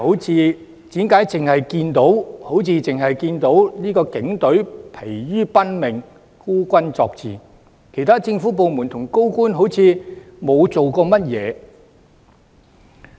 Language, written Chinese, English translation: Cantonese, 此外，為何好像只看到警隊疲於奔命、孤軍作戰，而其他政府部門和高官則看似沒有做到甚麼？, Moreover they also do not understand why the Police Force has been stretched to the limit in fighting alone while other government departments and senior officials just stood by without doing anything